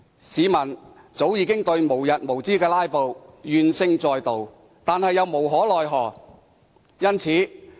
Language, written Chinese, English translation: Cantonese, 市民早已對無日無之的"拉布"怨聲載道，但又無可奈何。, People are highly discontented with the endless filibusters yet they can do nothing about it